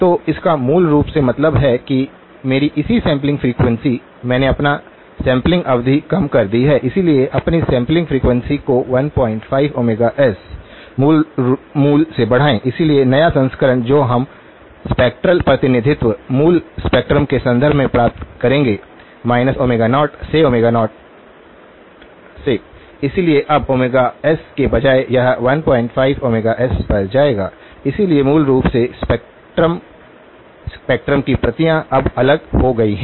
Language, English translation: Hindi, So, this basically means that my corresponding sampling frequency, I have reduced my sampling period, so increase my sampling frequency by 1 point 5 omega s, the original, so the new version that we will get us in terms of the spectral representation, the original spectrum minus omega 0 to omega 0, so now instead of omega s, it will go to 1 point 5 times omega s, so basically the spectrum; the copies of the spectrum now become shifted apart